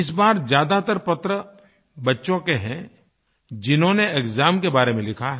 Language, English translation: Hindi, This time, maximum number of letters are from children who have written about exams